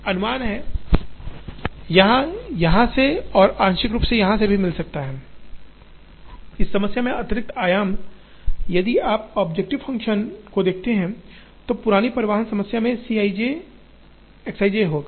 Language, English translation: Hindi, Assumption is, this can be met even partly from here and partly from here, the additional dimension in this problem if you look at the objective function, the old transportation problem will have C i j X i j